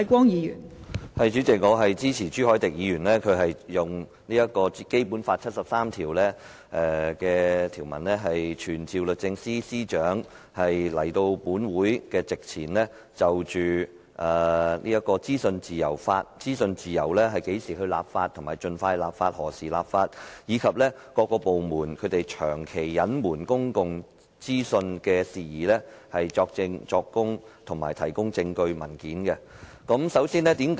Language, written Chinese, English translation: Cantonese, 代理主席，我支持朱凱廸議員動議本會根據《基本法》第七十三條，傳召律政司司長到立法會席前，就會否為資訊自由盡快立法及何時立法，以及各政府部門長期隱瞞公共資訊事宜，作證作供，以及提供證據及文件。, Deputy President I support Mr CHU Hoi - dick in moving the motion pursuant to Article 73 of the Basic Law to summon the Secretary for Justice to testify or give evidence and provide proof and documents before the Legislative Council in respect of whether she will legislate expeditiously for freedom of information and when the legislation will be enacted and in respect of the long - term concealment of public information by various government departments